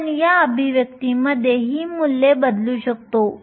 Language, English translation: Marathi, You can substitute these values in this expression